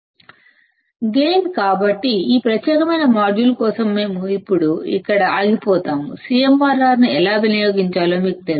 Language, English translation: Telugu, Guys, so for this particular module; we will stop here now, you now how to use the CMRR